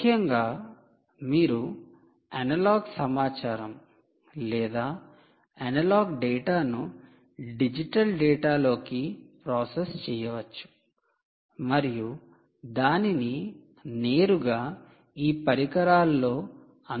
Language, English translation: Telugu, essentially, ah, you could be processing the analogue information, analogue dada, into digital data and making it available directly onto these devices